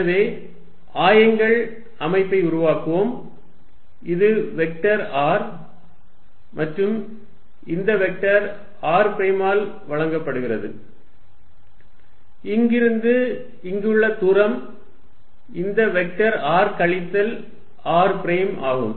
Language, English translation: Tamil, So, let us make the co ordinate system, this is at vector r and this vector is given by r prime, the distance from here to here is this vector is r minus r prime